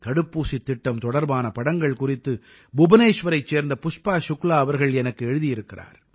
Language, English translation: Tamil, Pushpa Shukla ji from Bhubaneshwar has written to me about photographs of the vaccination programme